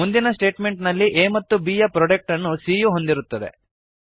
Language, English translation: Kannada, In the next statement, c holds the product of a and b